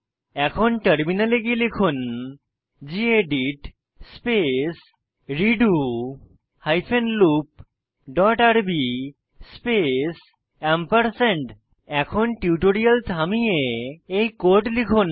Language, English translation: Bengali, Now let us switch to the terminal and type gedit space redo hyphen loop dot rb space You can pause the tutorial, and type the code as we go through it